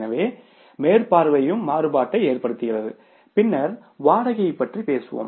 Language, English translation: Tamil, So, supervision is also causing the variance and then talk about the rent